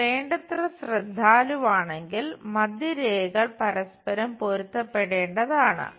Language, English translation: Malayalam, And if you are careful enough, here the center line and center line supposed to get matched